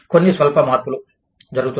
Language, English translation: Telugu, Some slight modifications, are being done